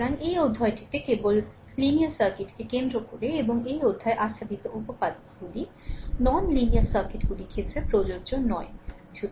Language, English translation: Bengali, So, in this chapter you concentrate only linear circuit and theorems covered in this chapter are not applicable to non linear circuits so, let me clear it right